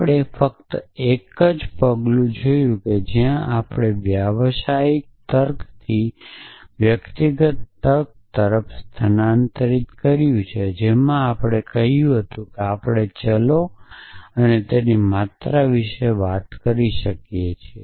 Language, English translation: Gujarati, So, we have seen only one step we have moved from professional logic to personal logic in which we said that we can talk about variables and quantifies